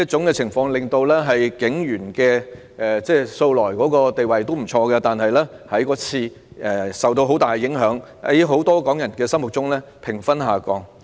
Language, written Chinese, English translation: Cantonese, 警隊的地位素來不錯，但自此卻受到很大影響，在很多港人心目中的評分下降。, The Polices reputation had been fairly good before . But since then it has come under severe impact and its popularity among Hong Kong people has dropped